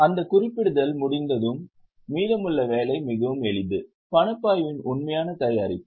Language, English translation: Tamil, Once that marking is done, the rest of the work is very simple, actual preparation of cash flow